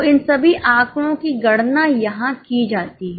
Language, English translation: Hindi, So, all these figures are calculated here